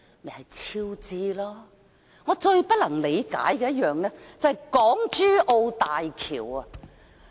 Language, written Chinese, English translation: Cantonese, 而我最不能理解的一個項目，就是港珠澳大橋。, The project which makes the least sense to me is the Hong Kong - Zhuhai - Macao Bridge